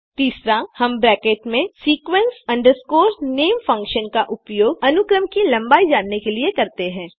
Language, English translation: Hindi, len within brackets sequence name is the function used to find out the length of a sequence